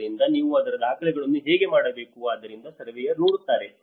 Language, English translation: Kannada, So, how you have to make a record of that, so that is where a surveyor looks at